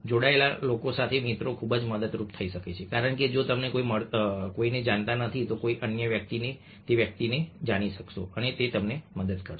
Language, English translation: Gujarati, friends with connected people can be immensely, because if you don't know somebody, then somebody else will be aware of that person and it will help